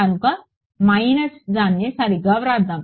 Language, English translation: Telugu, So, minus let us write it properly all right